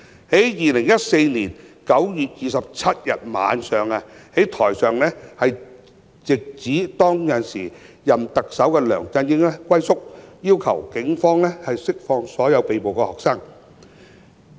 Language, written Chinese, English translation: Cantonese, 2014年9月27日晚上，台上直指時任特首梁振英"龜縮"，要求警方釋放所有被捕學生。, In the evening on 27 September 2014 people on the stage directly pointed out that the then Chief Executive LEUNG Chun - ying holed up and asked the Police to release all the arrested students